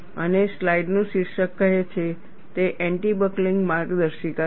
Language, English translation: Gujarati, And, the title of the slide says, it is anti buckling guide